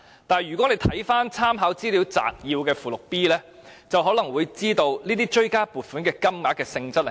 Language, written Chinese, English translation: Cantonese, 但是，看回立法會參考資料摘要的附件 B， 便知道追加撥款的原因。, But the reasons for the supplementary appropriations can be found in Annex B to the Legislative Council Brief